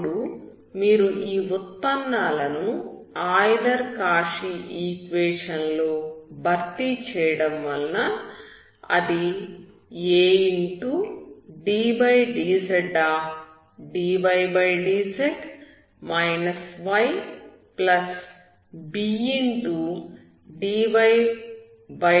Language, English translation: Telugu, Now you replacing these derivatives in the Euler–Cauchy equation will giveaddz(dydz −y )+bdydz+cy=0